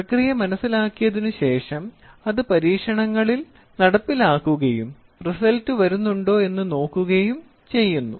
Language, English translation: Malayalam, After understanding the process whatever we have understood we execute it in the experiments and see whether it is coming